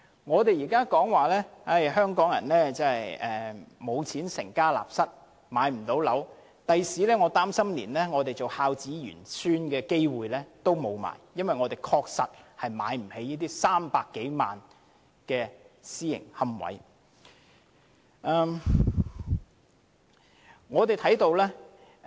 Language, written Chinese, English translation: Cantonese, 我們現在經常說，香港人不能成家立室，因為沒有錢置業，我擔心日後我們想做孝子賢孫的機會也沒有，因為我們確實負擔不起這些300多萬元的私營龕位。, Now we often say that Hong Kong people cannot get married because they cannot afford home ownership . I am afraid that in future we cannot be filial descendants even if we want to because private niches with a price tag of 3 - odd million are indeed beyond our affordability